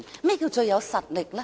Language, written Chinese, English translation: Cantonese, 何謂最有實力？, And what exactly is the most powerful?